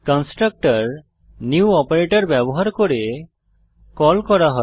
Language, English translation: Bengali, Constructor is called using the new operator